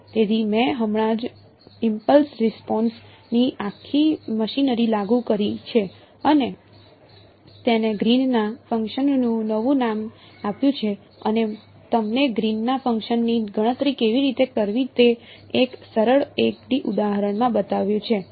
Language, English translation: Gujarati, So, I have just applied the whole machinery of impulse responses given it a new name Green’s function and shown you in a simple 1 D example how to calculate the Green’s function